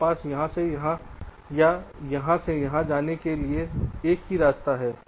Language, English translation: Hindi, i have a path to take from here to here or here to here, right